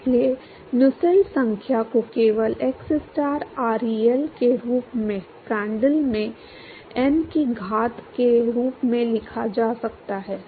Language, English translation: Hindi, So, Nusselt number can simply be written as xstar ReL into Prandtl to the power of n